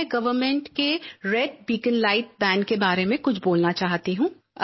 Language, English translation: Hindi, I wish to say something on the government's ban on red beacons